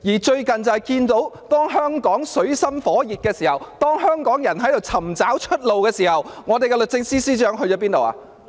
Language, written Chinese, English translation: Cantonese, 最近香港水深火熱，當香港人正在尋找出路之際，我們的律政司司長哪裏去了？, Hong Kong has been in a peril lately and when Hong Kong people are looking for a way out where has our Secretary for Justice gone?